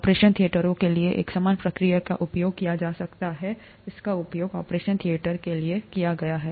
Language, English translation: Hindi, A similar procedure can be used for operation theatres, it has been used for operation theatres